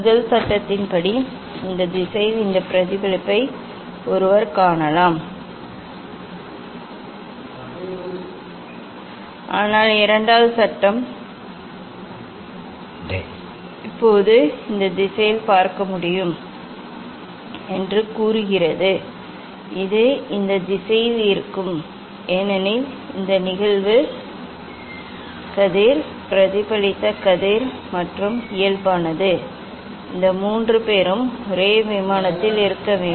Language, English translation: Tamil, According to first law one can see this reflection in this direction also one can see in this direction But second law tells now it is not possible to see in this direction, it will be along this direction because this incidence ray, reflected ray and the normal these three has to be on the same plane